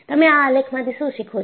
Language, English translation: Gujarati, And, what do you learn from this graph